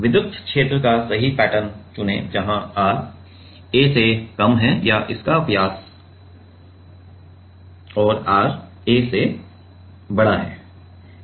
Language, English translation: Hindi, Choose the correct pattern of electric field where r is less than a or its diameter and r is greater than ‘a’